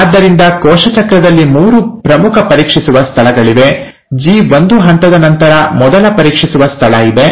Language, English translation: Kannada, So in cell cycle, there are three major checkpoints; the first check point is right after the G1 phase